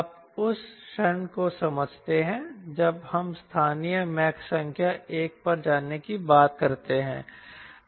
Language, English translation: Hindi, you understand the moment we talk about local mach number going to one